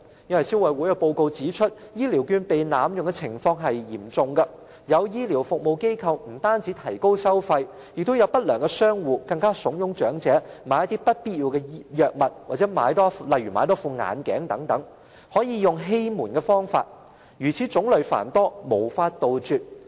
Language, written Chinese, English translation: Cantonese, 因為消委會報告指出，現時醫療券被濫用的情況嚴重，有醫療服務機構提高收費，亦有不良商戶慫恿長者購買不必要的藥物，又或多購買一副眼鏡，使用的欺瞞方法種類繁多，根本無法杜絕。, A report of the Consumer Council finds that the usage of Health Care Vouchers has been seriously abused . Some medical service organizations deliberately raise the charges; some unscrupulous traders urge elderly persons to buy medicines they do not need or buy an extra pair of glasses . The deceiving methods are numerous and there is no way to stop them